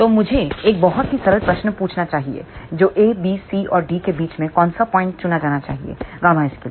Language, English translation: Hindi, So, let me ask a very very simple question which point among A, B, C and D should be chosen for gamma s